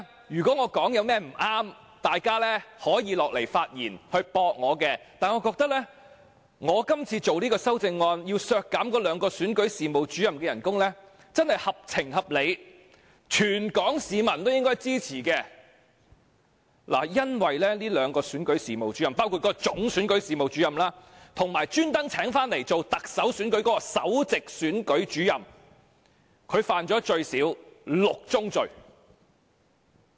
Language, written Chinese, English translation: Cantonese, 如果我有說得不對之處，大家可以下來發言駁斥我，但我覺得我今次提出修正案，削減該兩名選舉事務主任的薪酬，真是合情合理，全港市民都應該支持，因為該兩名選舉事務主任，包括該名總選舉事務主任，以及特別為特首選舉聘請的首席選舉事務主任，最少犯了6宗罪。, If I am wrong everyone is welcome to come here and refute me but I think my amendment of reducing the salaries of those two Electoral Officers is fair and reasonable and it should be supported by all Hong Kong people . It is because those two Electoral Officers namely the Chief Electoral Officer and the Principal Electoral Officer specially hired for the Chief Executive Election have committed six crimes